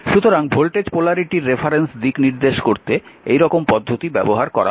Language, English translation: Bengali, So, size are used to represent the reference direction of voltage polarity